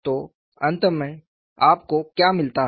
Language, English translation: Hindi, So, finally, what you get